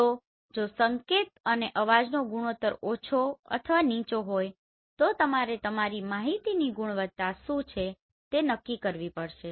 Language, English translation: Gujarati, So if the signal to noise ratio is less or low accordingly you have to decide what is the quality of your information